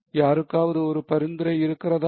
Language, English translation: Tamil, Anyone has a suggestion